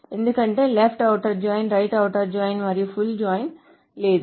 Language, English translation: Telugu, Because there is no left outer join, right outer join and a full join